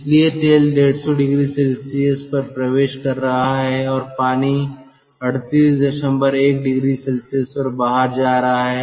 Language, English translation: Hindi, so oil is entering at one fifty degree celsius and water is going out at thirty eight point one degree celsius